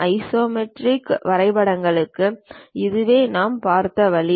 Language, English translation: Tamil, This is the way we have seen for isometric drawings this one